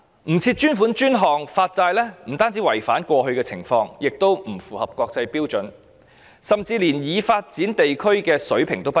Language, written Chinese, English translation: Cantonese, 不設專款專項發債不單違反慣例，也不符合國際標準，甚至連已發展地區的水平也不如。, Issuance of bonds not for dedicated purposes not only violates the established practice but also falls short of international standards even the levels of developed regions